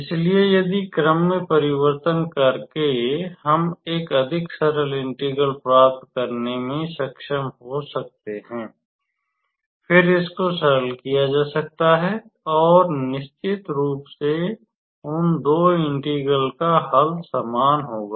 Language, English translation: Hindi, So, if by doing the change of order, if we can be able to obtain a rather simpler integral; then, that can be evaluated and of course, the value of those two integral would be same